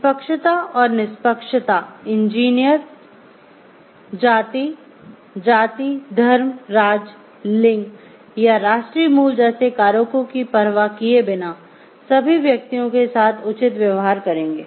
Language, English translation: Hindi, Impartiality and fairness, engineers shall treat fairly all persons regardless of such factors as race, caste, religion, state, gender or national origin